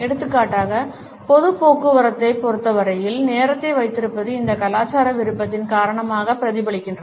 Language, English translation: Tamil, For example, keeping the time as far as the public transport is concerned is reflected because of this cultural preference also